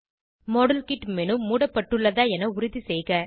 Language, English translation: Tamil, Ensure that the modelkit menu is closed, if it is open